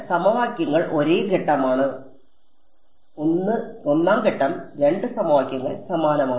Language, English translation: Malayalam, So, the equations are the same step 1 step 2 the equations are the same